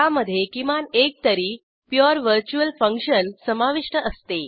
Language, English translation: Marathi, It contains at least one pure virtual function